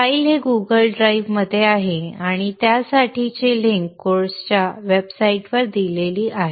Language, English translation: Marathi, This is located in Google Drive and the link for this is given in the course website